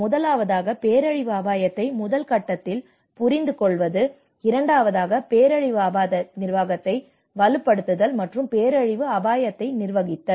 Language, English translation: Tamil, Number one, understanding the disasters risk in the first stage, number 2, strengthening the disaster risk governance and the manage disaster risk